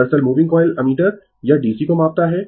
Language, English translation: Hindi, Actually, moving coil ammeter, it measures DC right